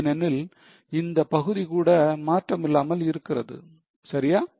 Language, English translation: Tamil, Because this part is also unchanged, right